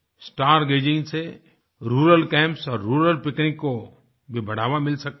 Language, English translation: Hindi, Star gazing can also encourage rural camps and rural picnics